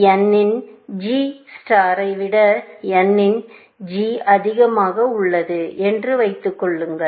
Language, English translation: Tamil, So, assume that g of n is greater than g star of n